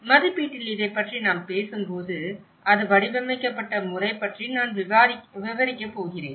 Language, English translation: Tamil, When we talk about this lecture on the assessment, I am going to describe about the methodology it has been framed